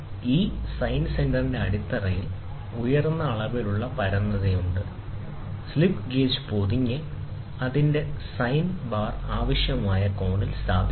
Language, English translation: Malayalam, The base of this sine center has a high degree of flatness, the slip gauge are wrung and placed on its set the sine bar at a required angle